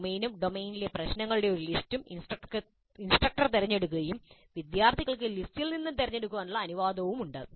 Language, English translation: Malayalam, The domain as well as a list of problems in the domain are selected by the instructor and students are allowed to choose from the list